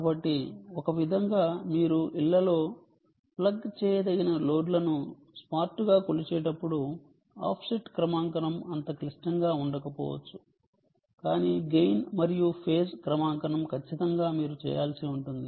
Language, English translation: Telugu, so in a way, offset calibration ah may not be um so so critical when you are measuring ah pluggable loads, smart in homes but gain and phase calibration definitely you have to do